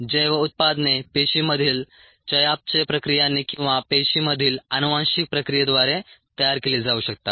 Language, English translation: Marathi, the bio products could be made by the metabolic reactions inside the cells or the genetic processes inside the cells